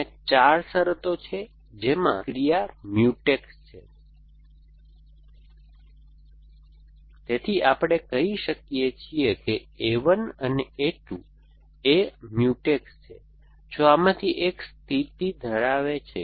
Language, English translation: Gujarati, There are 4 conditions under which action are Mutex, so we say a 1 and a 2 are Mutex if one of these conditions holds